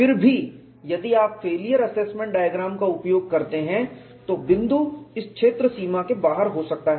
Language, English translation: Hindi, Even then if you use failure assessment diagram the point may lie outside this boundary